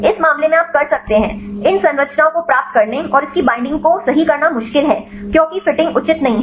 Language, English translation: Hindi, In this case you can, the accuracy of getting these structures and binding right its difficult because the fitting is not proper